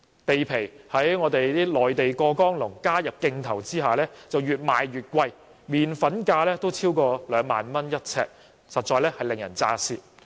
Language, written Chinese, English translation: Cantonese, 土地在內地"過江龍"加入競投下越賣越貴，連"麪粉"價也超過每平方呎兩萬元，實在令人咋舌。, With the participation of Mainland people in land tendering land price has become more and more expensive; even the flour price exceeds 20,000 per square foot which is really astonishing